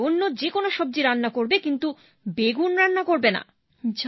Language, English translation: Bengali, From tomorrow cook any vegetable but the brinjal